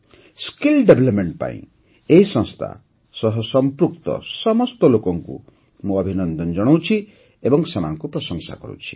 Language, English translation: Odia, I congratulate and appreciate all the people associated with this organization for skill development